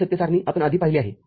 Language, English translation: Marathi, This truth table we have seen the before